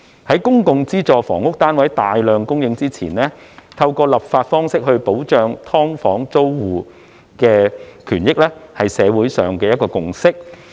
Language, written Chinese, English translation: Cantonese, 在公共資助房屋單位大量供應前，透過立法方式保障"劏房"租戶的權益，是社會上的一個共識。, Prior to the supply of publicsubsidized housing units in sufficient numbers protecting the interests of SDU tenants by way of legislation is a consensus in the community